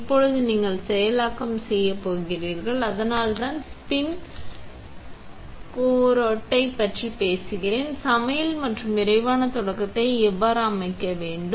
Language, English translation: Tamil, Now, we are going to do processing, so I will talk about the spin coater and how to set up recipes and quick start